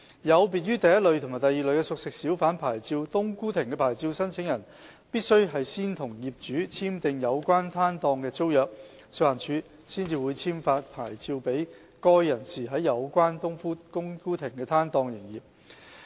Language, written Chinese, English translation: Cantonese, 有別於第一類及第二類的熟食小販牌照，"冬菇亭"的牌照申請人必須先和業主簽訂有關攤檔的租約，食環署才會簽發牌照給該人士在有關"冬菇亭"的攤檔營業。, Unlike applicants for the first and second categories of cooked food hawker licences applicants for licences in respect of stalls in cooked food kiosks are required to sign a tenancy agreement with the owner for the stall concerned prior to FEHDs issuance of a hawker licence for operating the stall in a cooked food kiosk